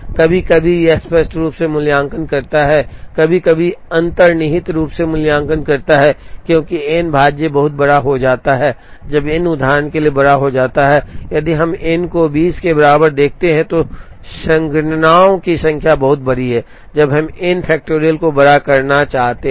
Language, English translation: Hindi, Sometimes, it evaluates explicitly, sometimes, it evaluates implicitly, because n factorial becomes very large, when n becomes large for example, if we look at n equal to 20, the number of computations is extremely large, when we want to enumerate n factorial